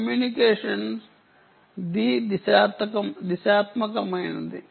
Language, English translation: Telugu, the communication is bidirectional